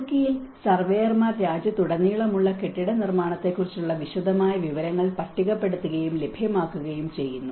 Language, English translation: Malayalam, And in Turkey, surveyors catalogue and make available detailed information on building construction throughout the country